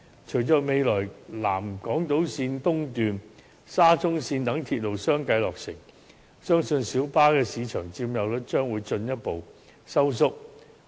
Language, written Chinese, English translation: Cantonese, 隨着未來南港島線和沙中線等鐵路相繼落成，相信小巴的市場佔有率將會進一步收縮。, We believe that with the completion of the South Island Line East and the Shatin to Central Link in succession the market share of PLBs will further shrink